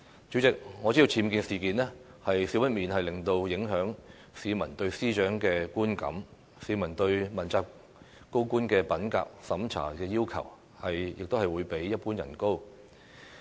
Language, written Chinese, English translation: Cantonese, 主席，我知道僭建事件少不免會影響市民對司長的觀感，市民對問責高官的品格審查要求，亦會比一般人高。, President I know that the UBWs incident will inevitably affect the publics perception of the Secretary for Justice and members of the public have higher integrity requirements on accountability officials than on ordinary people